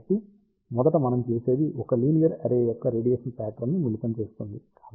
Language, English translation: Telugu, So, first what we do we combine the radiation pattern of 1 linear array